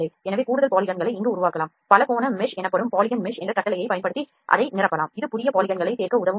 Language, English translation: Tamil, So, we can generate additional polygons here we can fill it that happens using a command called Polygon mesh command called Polygon mesh, this is the command that helps to add new Polygons